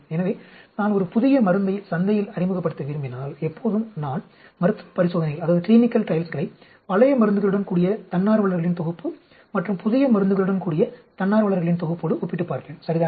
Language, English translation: Tamil, So, if I want to introduce a new drug into the market, I will always carry out clinical trials with the old drugs, with the set of volunteers and new drug with set of volunteers and make a comparison, ok